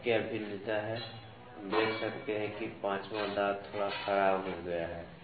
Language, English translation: Hindi, Now, what is the variation, we I can see that the 5th tooth is a little deteriorated